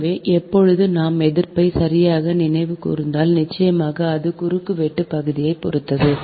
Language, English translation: Tamil, so this, when, if i, if i recall correctly, the resistance, of course it depends on the cross sectional area